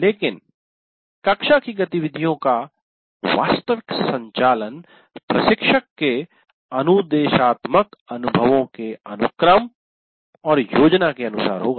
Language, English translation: Hindi, But the actual conduct of the classroom activities will be as per the sequence of instructional experiences that you already, the instructor already planned